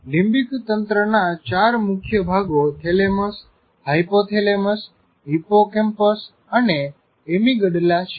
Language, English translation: Gujarati, The four major parts of the limbic system are thalamus, hypothalamus, hippocampus, and amygdala